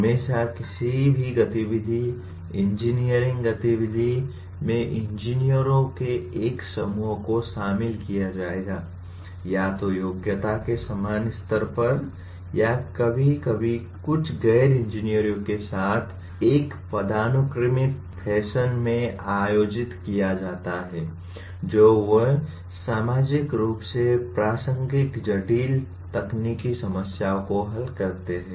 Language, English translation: Hindi, Always any activity, engineering activity will involve a group of engineers, either at the same level of competency or sometimes organized in a hierarchical fashion along with some non engineers they solve socially relevant complex technical problems